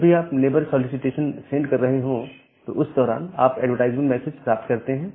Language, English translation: Hindi, Whenever you are sending a neighbor solicitation, during that time you will get a advertisement